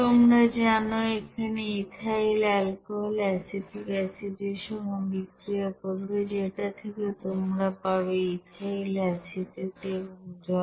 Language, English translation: Bengali, Here ethyl alcohol will be you know, reacting with acetic acid which will give you that ethyl acetate and water